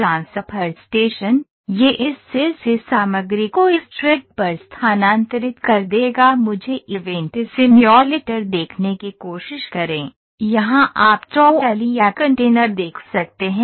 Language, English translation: Hindi, Transfer station transfer station it will just transfer the material from this cell to this track let me try to see the event simulator here, you can see the trolley or the container came here ok